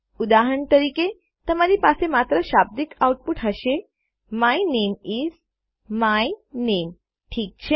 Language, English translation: Gujarati, For example, you would literally just have output my name is, my name, Okay